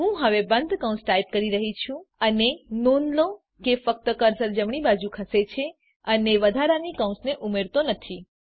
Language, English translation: Gujarati, Im now typing the closing parenthesis and note that only the cursor moves to the right and the extra parenthesis is not added